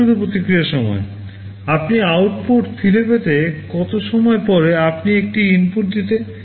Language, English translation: Bengali, Latency response time: you give an input after how much time you are getting back the output